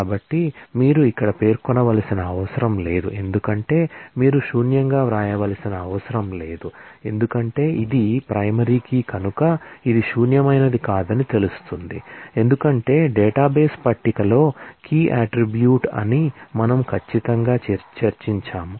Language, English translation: Telugu, So, you do not need to specify that is here you do not need to write not null, because it is a primary key it will be known to be not null, because certainly we have discussed that key is the distinguishing attribute in a database table